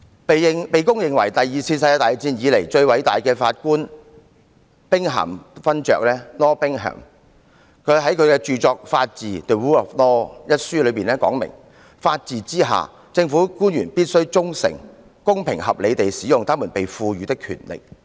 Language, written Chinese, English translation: Cantonese, 被公認為第二次世界大戰以來最偉大的法官兵咸勳爵 Lord BINGHAM 在其著作《法治》一書中說："法治之下，政府官員必須忠誠、公平合理地使用他們被賦予的權力。, Lord Thomas BINGHAM widely recognized as the greatest judge after the Second World War said in his book The Rule of Law that under the rule of law public officers at all levels must exercise the powers conferred on them in good faith fairly and not unreasonably